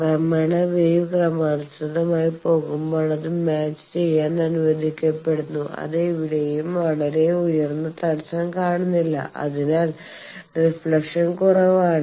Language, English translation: Malayalam, So, gradually the wave is allowed to match with the as progressively it is going it is nowhere seeing a very high jam that is why the reflection is low